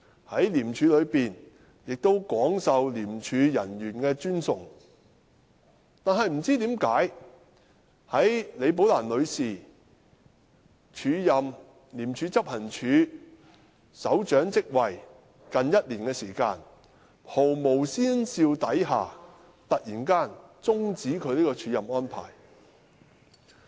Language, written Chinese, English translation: Cantonese, 在廉署中亦廣受廉署人員的尊崇，但不知甚麼緣故，在李寶蘭女士署任廉署執行處首長職位近一年後，在毫無先兆之下突然終止她署任這職位的安排。, But for reasons unknown almost a year after Ms Rebecca LI had acted up as Head of Operations the arrangement for her to act up this post was suddenly terminated without any indication beforehand